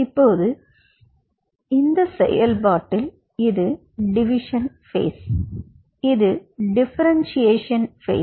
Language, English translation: Tamil, now, in this process, this is which is the division phase, this is which is the differentiation phase